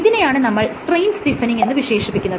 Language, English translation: Malayalam, So, this phenomenon is called strain stiffening